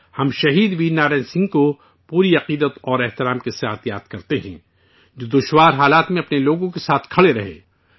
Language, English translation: Urdu, We remember Shaheed Veer Narayan Singh with full reverence, who stood by his people in difficult circumstances